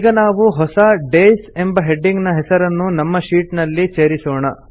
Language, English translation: Kannada, Now lets insert a new heading named Days in our sheet